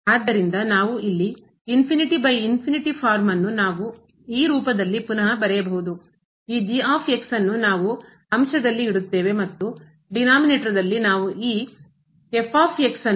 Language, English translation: Kannada, So, we have here 0 by 0 form we can also rewrite in this form that we keep this in the numerator and in the denominator we take this as 1 over